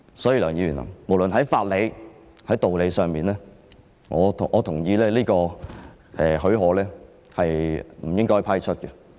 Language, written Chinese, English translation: Cantonese, 所以，梁議員，無論在法理或道理上，我都同意這個許可是不應該批出的。, Hence Mr LEUNG on the basis of legal principles and reason I agree that leave should not be given